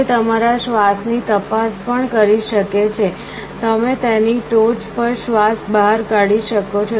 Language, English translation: Gujarati, It can also check your breath; you can exhale on top of it